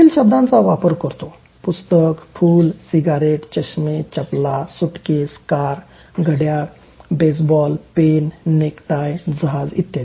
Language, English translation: Marathi, The words he uses are book, flower, cigarette, eyeglasses, shoe, suitcase, car, clock, baseball, pen, necktie, ship